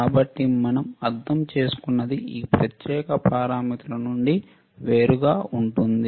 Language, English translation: Telugu, So, what we also understand is that apart from these particular parameters